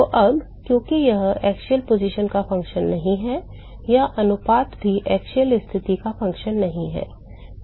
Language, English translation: Hindi, So, now, because this ratio is not a function of the axial position, this ratio is also not a function of the axial position